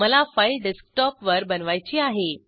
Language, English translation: Marathi, I want to create my file on the Desktop